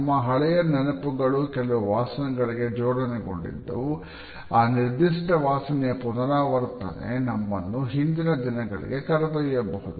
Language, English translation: Kannada, Our old memories often are associated with certain smells and the repetition of a particular smell may carry us backward in time